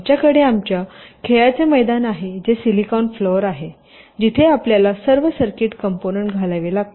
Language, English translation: Marathi, we have our play ground, which is the silicon floor, where we have to lay out all the circuit components